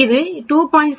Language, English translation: Tamil, 2 is equal to 2